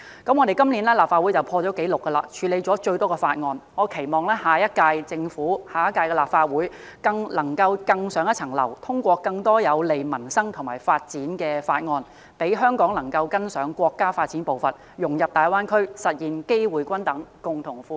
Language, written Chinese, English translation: Cantonese, 今年，我們立法會已破紀錄處理了最多法案，我期望下屆政府和下屆立法會能夠更上一層樓，通過更多有利民生和發展的法案，讓香港能夠跟上國家發展步伐，融入大灣區，實現機會均等，共同富裕。, This year the Legislative Council has dealt with the highest number of bills on record . I hope that the Government of the next term and the next Legislative Council will be able to go one better by passing more bills beneficial to peoples livelihood and our development so that Hong Kong can keep up with the pace of our countrys development integrate into the Greater Bay Area and achieve equal opportunity and common prosperity